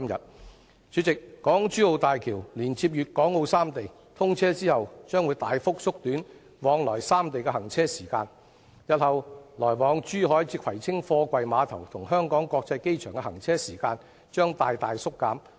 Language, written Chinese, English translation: Cantonese, 代理主席，港珠澳大橋連接粵港澳三地，通車後將會大幅縮短來往三地的行車時間，日後來往珠海至葵青貨櫃碼頭與香港國際機場的行車時間將大大縮減。, Deputy President HZMB which connects Hong Kong with Macao and Guangdong will greatly reduce the travelling time between the three places upon its commissioning . In future there will be a substantial cut in the travelling time between Zhuhai and the Kwai Tsing Container Terminals as well as between Zhuhai and the Hong Kong International Airport